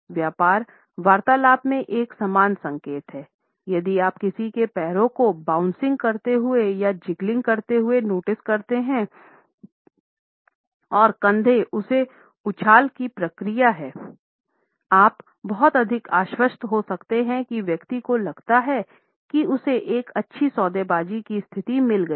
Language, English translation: Hindi, In business negotiations there is a similar signal; if you notice someone’s feet bouncing or you see the jiggling and the shoulders that is a reaction from that bounce; you can be pretty much assured that that person feels that he is got a good bargaining position